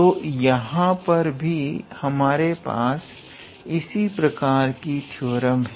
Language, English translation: Hindi, So, here in this case also we have the similar theorem